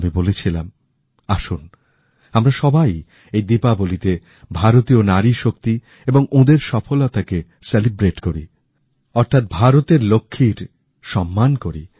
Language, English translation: Bengali, I had urged all of you to celebrate India's NariShakti, the power and achievement of women, thereby felicitating the Lakshmi of India